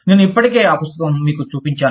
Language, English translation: Telugu, I have already shown you, that book